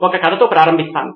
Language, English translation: Telugu, Let me start out with a story